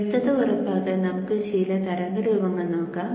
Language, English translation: Malayalam, Let us have some waveforms to ensure clarity